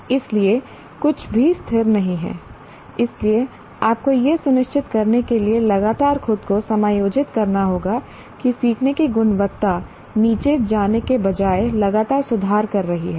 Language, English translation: Hindi, So you have to constantly adjust yourself to ensure that the quality of learning is continuously improving rather than going down